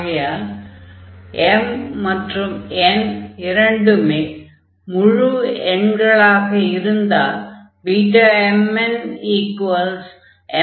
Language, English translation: Tamil, So, this is the formula when m and n both are integers